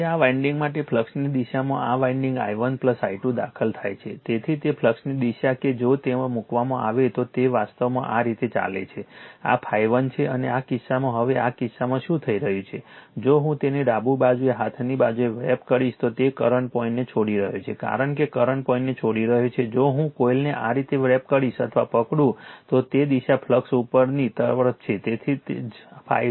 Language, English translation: Gujarati, Now, in the direction of the flux for this winding for this winding i 1 plus i 2 entering, so it direction of the flux that if you put there it is it is actually going like this, this is phi 1 and in this case now in this case what is happening, that current is leaving the dot right as the current is leaving the dot that in the direction of the current if I wrap it the way on the left hand side, right hand side, if I wrap or grabs the coil like this the direction of flux is upward that is why phi 2 is upward